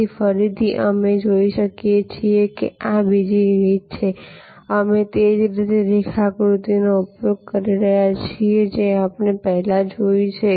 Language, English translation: Gujarati, So, again as you can see here that this is another way, we are using the same diagram as we saw before